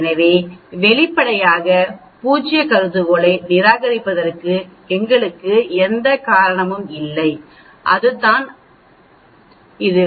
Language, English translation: Tamil, So obviously, we have no reason for rejecting the null hypothesis that is what it is